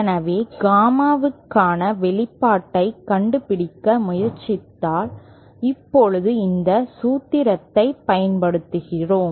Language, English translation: Tamil, So now using this formula if we try to find out the expression for Gamma in